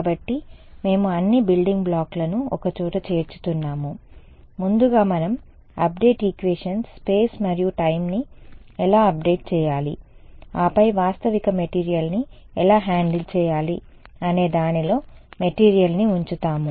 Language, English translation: Telugu, So, we are putting together all the building blocks, first we look at update equations space and time how do we update, then we put a material inside how do we handle a realistic material